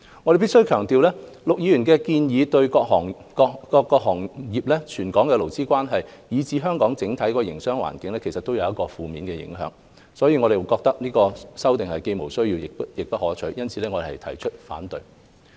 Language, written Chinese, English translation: Cantonese, 我必須強調，陸議員的建議對各行各業、全港的勞資關係，以至香港的整體營商環境都會有負面影響，所以有關修正案既無需要，亦不可取，因此我們提出反對。, I cannot but highlight the point that Mr LUKs proposals will pose negative impact on all industries labour relations across the territory and our overall business environment . That is why we consider his amendments unnecessary and undesirable and object to them